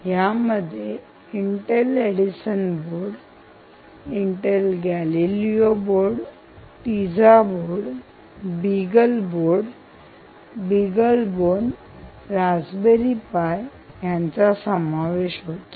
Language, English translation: Marathi, it could be intel edison board, it could be intel galileo board, it could be teiza times, beagleboard, beaglebone, or it could be raspberry pi